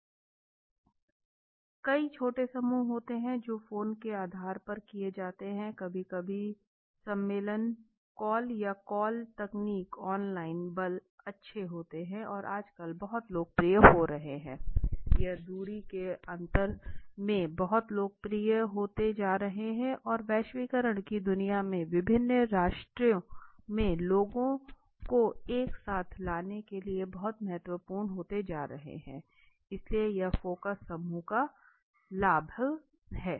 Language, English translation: Hindi, Many groups are small group so the which are done in the basis of the phone sometimes conference call or the call technique online forces are good and becoming very popular now a days now these are very popular in the difference in the space and the distance it is becoming important and the globalized world that to bring in the people in the different nation together becoming very important so advantage of the focus group right